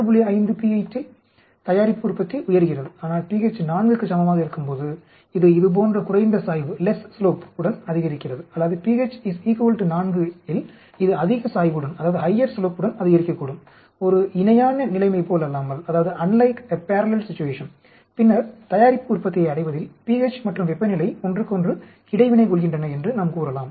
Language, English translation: Tamil, 5 pH product yield is going up but at pH is equal to 4 it is going up with the less slope like this or at pH is equal to 4 it may be going up with higher slope unlike a parallel situation, then we can say the pH and temperature are interacting with the each other in arriving at the product yield